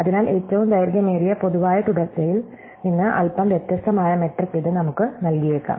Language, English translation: Malayalam, So, it might give us a slightly different metric from longest common subsequence